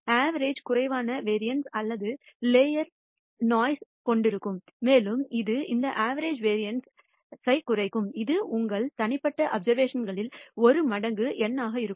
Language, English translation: Tamil, The average will contain less variability or less noise and it will reduce the variance of this average will be 1 by N times the variance in your individual observations